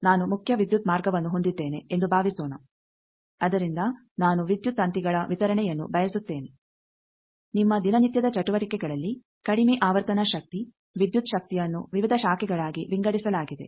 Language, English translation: Kannada, Suppose I am having a main power line from that I want distribution of power lines as you see in your day to day activities that low frequency power, the electrical power that gets divided into various branches